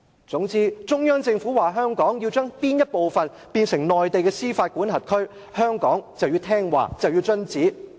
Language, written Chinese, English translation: Cantonese, 總之，中央政府說香港要將其某部分變成內地司法管轄區，香港便要聽話遵旨。, In short once the Central Government says a certain site in Hong Kong should come under its jurisdiction Hong Kong will oblige